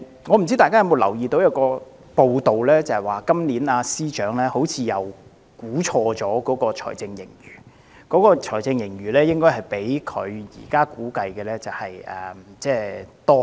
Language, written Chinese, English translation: Cantonese, 我不知道大家有否留意早前一篇報道，指財政司司長今年又錯估了財政盈餘，實際財政盈餘較他估算的高出很多。, I do not know if Members are aware of an earlier report saying that the Financial Secretary has again wrongly estimated the fiscal surplus resulting in a much higher figure than his estimate